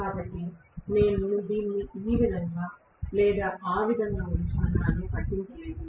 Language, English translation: Telugu, So, it should not matter whether I house it this way or that way